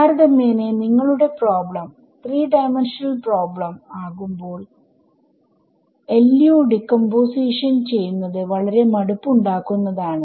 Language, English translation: Malayalam, So, typically when your problem becomes a 3 dimensional problem, doing this LU decomposition itself becomes very tedious